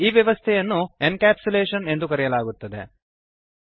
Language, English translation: Kannada, This mechanism is called as Encapsulation